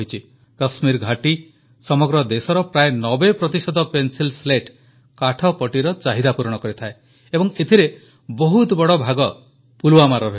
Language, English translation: Odia, The Kashmir Valley meets almost 90% demand for the Pencil Slats, timber casings of the entire country, and of that, a very large share comes from Pulwama